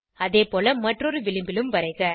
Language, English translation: Tamil, Likewise let us draw on the other edge